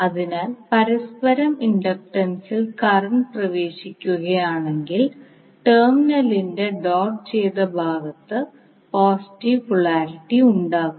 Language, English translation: Malayalam, So if the current is entering here in mutual inductance will have the positive polarity in the doted side of the terminal